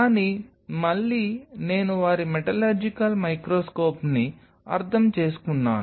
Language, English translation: Telugu, But again, I am just meaning their metallurgical microscope